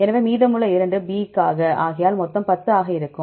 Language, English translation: Tamil, So, remaining 2, we give here for the B